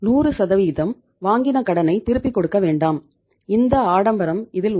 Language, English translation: Tamil, You are not to pay the 100% loan back to the source so that that luxury is there